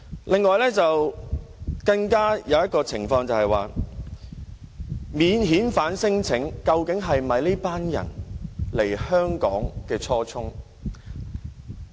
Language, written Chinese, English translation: Cantonese, 另一點是，提出免遣返聲請究竟是否這群人來香港的初衷？, Another point is about whether lodging non - refoulement claims is their original aim of coming to Hong Kong